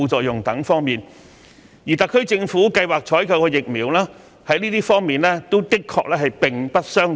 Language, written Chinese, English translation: Cantonese, 就以上各方面而言，特區政府計劃採購的數款疫苗的確並不相同。, In terms of the aforementioned aspects the several vaccines the SAR Government has planned to procure are indeed different